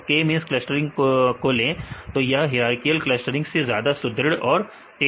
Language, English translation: Hindi, So, take the k means clustering it is robust and it is faster than the hierarchical clustering